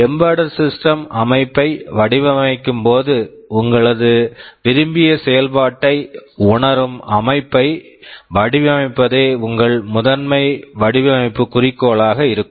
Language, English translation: Tamil, When you are designing an embedded system, your primary design goal will be to design a system that realizes the desired functionality